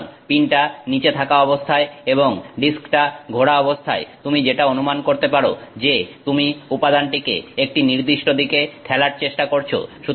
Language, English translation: Bengali, So, as you can imagine with the pin down and as the disk is rotating, you are trying to push the material in one direction